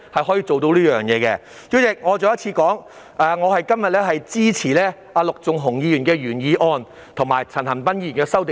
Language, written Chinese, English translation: Cantonese, 代理主席，我重申，我今天支持陸頌雄議員的原議案，以及陳恒鑌議員的修正案。, Deputy President I reiterate that I support Mr LUK Chung - hungs original motion and Mr CHAN Han - pans amendment today